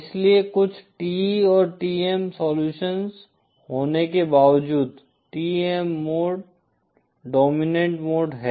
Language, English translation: Hindi, Hence even though there might be some TE and TM solution, TEM mode is the dominant mode